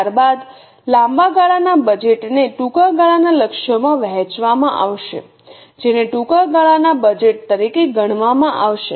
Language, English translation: Gujarati, Then the long term budget will be divided into short term targets that will be considered as a short term budget